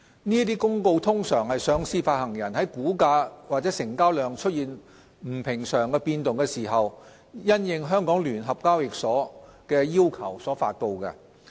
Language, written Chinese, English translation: Cantonese, 這些公告通常是上市發行人在股價或成交量出現不尋常變動時，因應香港聯合交易所的要求所發布。, These announcements are generally made at the request of the Stock Exchange of Hong Kong SEHK following unusual movements in the issuers share price or trading volume